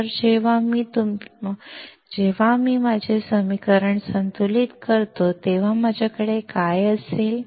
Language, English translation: Marathi, So, when I balance my equation what will I have